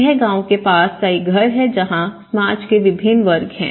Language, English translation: Hindi, This is a house nearby a village where they have different class societies